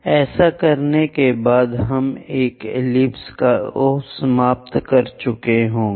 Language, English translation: Hindi, After doing that we will end up with this ellipse